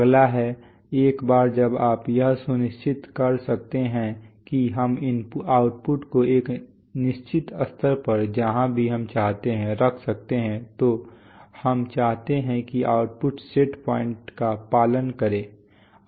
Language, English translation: Hindi, The next is to, once you we can ensure that we can hold the outputs at a certain level wherever we want to, we want the output to follow the set points that is, we want that the output will follow the set point